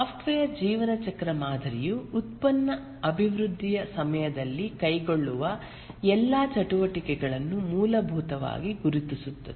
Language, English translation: Kannada, The software lifecycle model essentially identifies all the activities that are undertaken during the product development